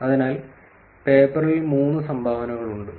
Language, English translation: Malayalam, So, there are three contributions on the paper